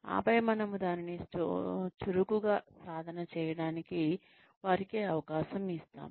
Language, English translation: Telugu, And then, we give them a chance, to practice it, actively